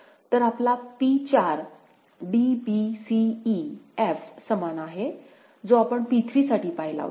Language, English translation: Marathi, So, your P4 is same as a d, b, c e, f the one that we had seen for P3